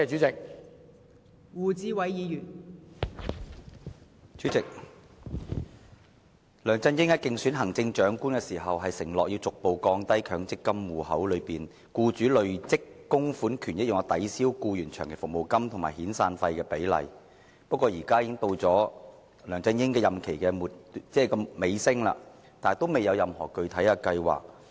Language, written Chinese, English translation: Cantonese, 代理主席，梁振英在競選行政長官時，曾承諾逐步降低強制性公積金戶口內僱主累積供款權益用作抵銷僱員長期服務金及遣散費的比例，但梁振英的任期現已接近尾聲，卻仍未有任何具體計劃。, Deputy President when LEUNG Chun - ying was running for the office of Chief Executive he undertook to progressively reduce the proportion of accrued benefits attributed to the employers contribution in the Mandatory Provident Fund MPF account that can be used to offset the employees long service and severance payments . However while LEUNG Chun - yings term of office is now drawing to an end there is still not any specific plan